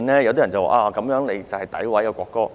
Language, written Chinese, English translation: Cantonese, 有人說這是詆毀國歌。, Some people say this is vilification of the national anthem